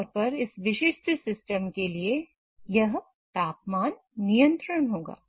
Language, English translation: Hindi, So, typically for this particular system, it will involve controlling the temperature